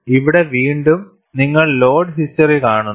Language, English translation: Malayalam, Here again, you see the load history